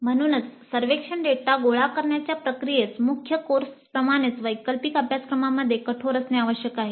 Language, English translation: Marathi, So the process of collecting survey data must remain as rigorous with elective courses as with core courses